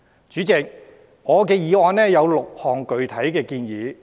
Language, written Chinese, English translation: Cantonese, 主席，我的議案有6項具體建議。, President six specific proposals have been put forward in my motion